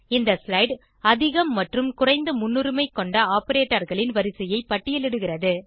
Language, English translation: Tamil, This slide lists all operators from highest precedence to lowest